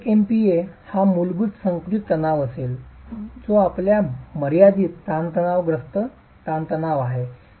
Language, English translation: Marathi, So 1 MPA would be the basic compressive stress which is a limiting compressive stress